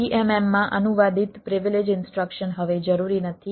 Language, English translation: Gujarati, privilege instruction translated to vmm is no longer necessary